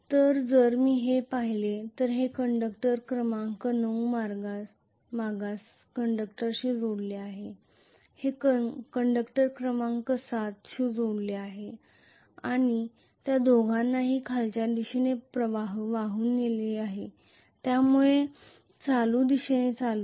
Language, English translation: Marathi, So if I look at this this is connected to conductor number 9 backward conductor this is connected to conductor number 7 both of them are carrying current in the downward direction this is carrying the current in the upward direction